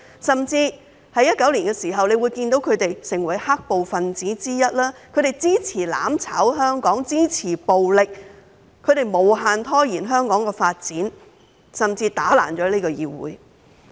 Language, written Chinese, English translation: Cantonese, 在2019年，他們甚至成為"黑暴"分子之一，支持"攬炒"香港，支持暴力，無限拖延香港的發展，甚至打爛這個議會。, In 2019 they even became black - clad rioters to support the mutual destruction of Hong Kong the use of violence delaying the development of Hong Kong indefinitely and even vandalizing this Council